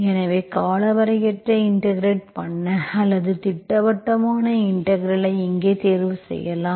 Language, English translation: Tamil, So you can choose your indefinite integral or definite integral here